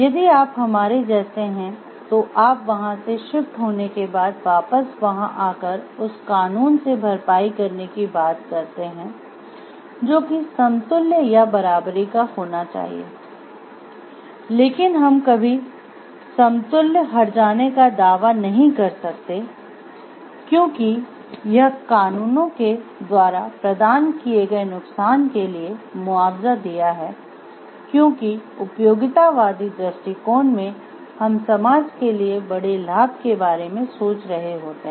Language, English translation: Hindi, If you are like us to shift from there and there comes again when you talk of compensating for that laws which can br of equivalence, but we can never claim like we have exactly compensated for the harm provided on the laws provided to someone because, from the utilitarian perspective we are thinking of the benefit of the larger society